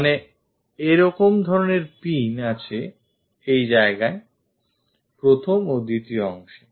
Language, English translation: Bengali, So, such kind of pin is there; the first and second part